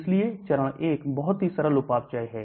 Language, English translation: Hindi, So a phase 1 is a very simple metabolism